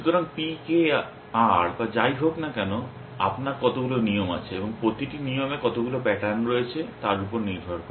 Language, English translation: Bengali, So, P K R or whatever, depending on how many rules you have and how many patterns each rules has essentially